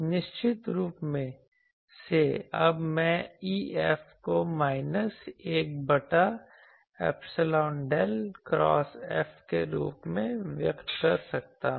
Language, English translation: Hindi, So, definitely now I can express E F as minus 1 by epsilon del cross F